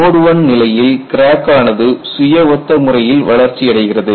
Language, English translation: Tamil, In mode one, the crack growth is self similar